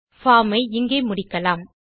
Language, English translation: Tamil, Lets end our form here